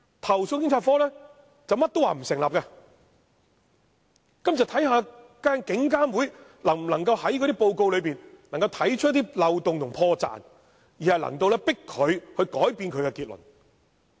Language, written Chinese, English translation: Cantonese, 投訴警察課甚麼也說不成立，於是警監會要看看能否從報告中找出漏洞和破綻，迫使投訴警察課改變其結論。, CAPO would conclude everything as unsubstantiated so IPCC needed to examine if it could find any loopholes or flaws in the report to force CAPO to revise its conclusion